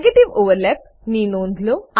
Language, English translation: Gujarati, Observe negative overlap